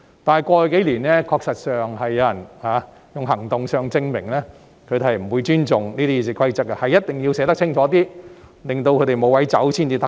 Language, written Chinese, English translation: Cantonese, 但是，在過去數年，確實有人以行動證明他們不會尊重《議事規則》，所以一定要把條文寫得清楚一些，令他們無法鑽空子。, However in the past few years some Members proved in action that they would not respect RoP so we must write down clearer rules to stop them from making use of the loopholes therein